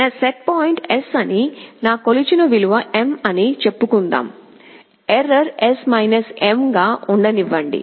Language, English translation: Telugu, Let us say my setpoint is S, my measured value is M, let us error to be S M